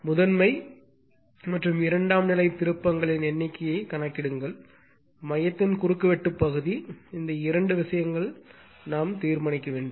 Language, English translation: Tamil, Calculate the number of primary and secondary turns, cross sectional area of the core, right this two things we have to determine